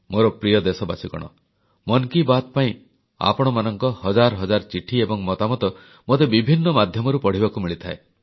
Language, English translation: Odia, My dear countrymen, for 'Mann Ki Baat', I keep getting thousands of letters and comments from your side, on various platforms